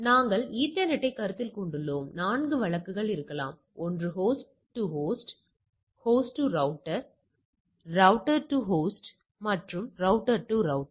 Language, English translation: Tamil, We are considering the ethernet once that is there, there are there can be 4 cases; one is host to host, host to router, router to host and router to router